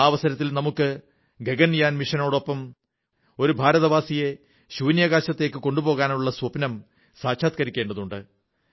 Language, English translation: Malayalam, And on that occasion, we have to fulfil the pledge to take an Indian into space through the Gaganyaan mission